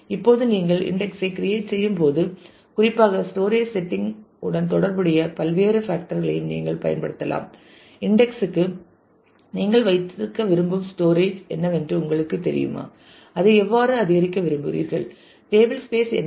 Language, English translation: Tamil, Now, while you create the index you could also use optionally various other factors which relate to particularly the storage setting you can set what is you know what is the storage you want to keep for the index how you would like to increase increment that and so, on what is the table space